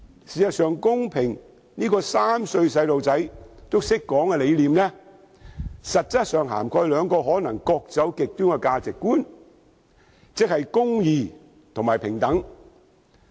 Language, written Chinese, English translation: Cantonese, 事實上，公平這個3歲小朋友也懂得說的理念，實質上涵蓋兩個可能各走極端的價值觀：公義和平等。, In fact the concept of equity which even a three - year - old can say actually contains two probably polarized values justice and equality